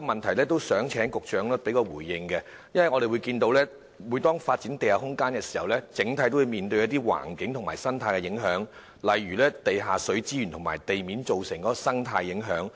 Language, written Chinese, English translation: Cantonese, 此外，我想請局長回應另一問題，因為每當我們要發展地下空間，都會面對一些環境和生態影響，例如地下水資源及在地面造成的生態影響。, Besides I would like to ask the Secretary to respond to another question because whenever a suggestion is made to develop underground space certain environmental and ecological impacts will be encountered such as groundwater resources and the above ground ecological impacts of the development